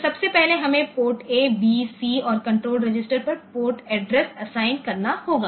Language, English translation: Hindi, So, first of all we have to see the port address assign to the ports A, B, C and the control register